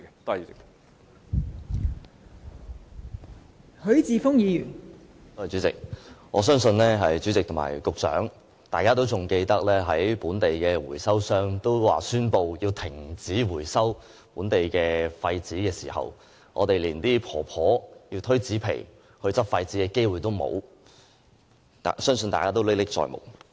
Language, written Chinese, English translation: Cantonese, 代理主席，我相信局長仍然記得，本地回收商宣布要停止回收本地廢紙時，那些婆婆連推車執拾廢紙的機會也失去，相信大家仍歷歷在目。, Deputy President I believe the Secretary still remembers the situation when local recyclers announced suspension of waste paper collection . Those old women lost their chance of scavenging cardboards with their handcarts . I believe the incident is still fresh in peoples mind